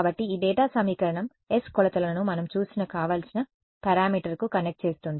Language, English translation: Telugu, So, this data equation s is connecting the measurements to the desired parameter we have seen that